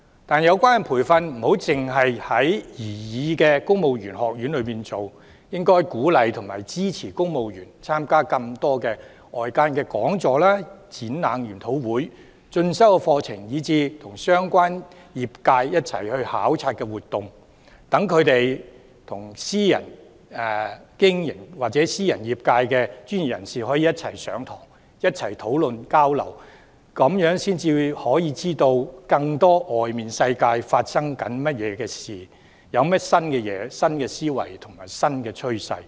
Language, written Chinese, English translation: Cantonese, 但有關培訓不應只在擬議的公務員學院推行，應該鼓勵和支持公務員參加更多外間的講座、展覽、研討會、進修課程，以及和相關業界一起參與考察活動，讓他們與私營業界和專業人士一起上課、討論交流，這樣才可以了解業界的運作、新思維和新趨勢。, Nevertheless the relevant training should not only be conducted in the proposed civil service college . The Government should support and encourage civil servants to participate in external talks exhibitions seminars courses as well as join study visits with the relevant sectors so that they can attend class discuss and exchange views with members of the private sectors and professionals thereby having a better understanding of the operation new ideas and new trends of the sector